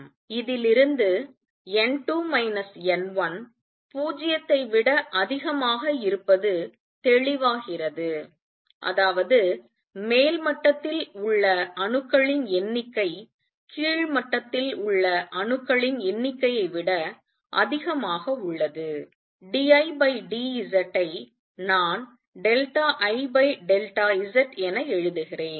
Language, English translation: Tamil, From this it is clear if n 2 minus n 1 is greater than 0; that means the number of atoms in the upper level is more than the number of atoms in the lower level d I by d Z which I am writing as delta I over delta S